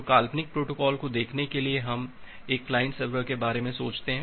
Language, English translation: Hindi, So, to look in to this hypothetical protocol we are thinking of a client server this application